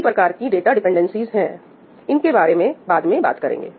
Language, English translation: Hindi, (Right, so) there are different kinds of data dependencies, we will talk about them later